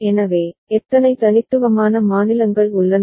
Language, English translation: Tamil, So, how many unique states are there